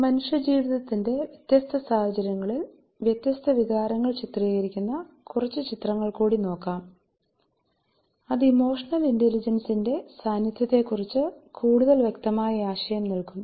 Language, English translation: Malayalam, Welcome back let see some more that depicts different emotions in different situations of human life that will give us a more clear idea about the presence of emotional intelligence